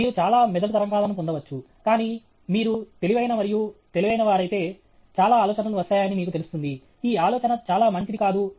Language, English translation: Telugu, You may get lot of brain waves, but if you are intelligent and smart, then you will know that, ok, some many ideas come, this idea is not very good